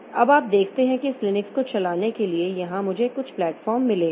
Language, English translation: Hindi, Now you see that for running this Linux, so here I have got some native platforms